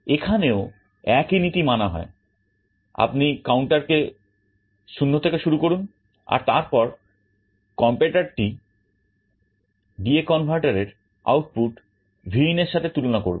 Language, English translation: Bengali, Here also the principle is very similar, you start by initializing the counter to 0 and then the comparator will be comparing D/A converter output with Vin